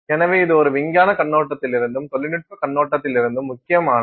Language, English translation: Tamil, So, this is also important from I mean from a scientific perspective as well as a technological perspective